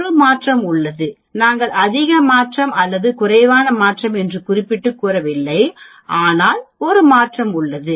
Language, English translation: Tamil, There is a change, we are not a saying greater change or less change, but there is a change